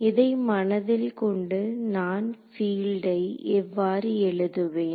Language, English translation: Tamil, So, with this in mind how do I write the field